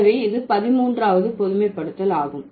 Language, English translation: Tamil, And what is the 13th generalization